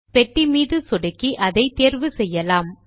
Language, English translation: Tamil, Click on the box and select it